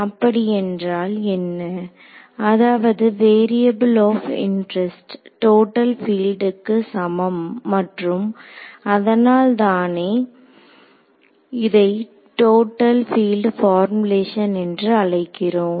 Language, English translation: Tamil, So, what does it mean, it means that the variable of interest equals total field and that is why it is called the total field formulation